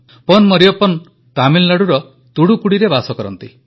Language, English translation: Odia, He is Pon Mariyappan from Thoothukudi in Tamil Nadu